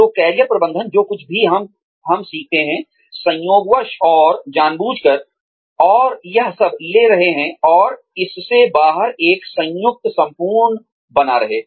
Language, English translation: Hindi, So, Career Management is taking, whatever we learn, incidentally and intentionally, and taking all of it, and making a combined whole, out of it